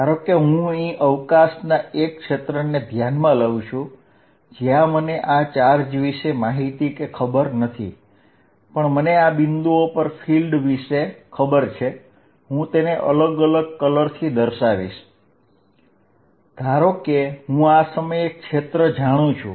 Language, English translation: Gujarati, Suppose, I go to a region of space here, where I do not know about this charge, but I know field at these points, let me make it fill different color, suppose I know field at this point